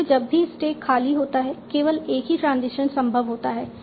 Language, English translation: Hindi, Again whenever stack is empty, the only tension possible is shift